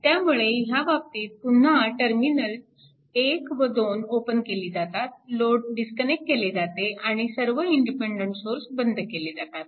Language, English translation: Marathi, So, in this case, your again terminals 1 and 2 are open circuited with the load disconnected and turned off all the independent sources